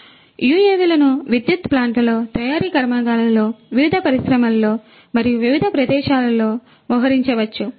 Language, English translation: Telugu, So, UAVs could be deployed in various locations in the power plants, in the manufacturing plants, in the different industries and so on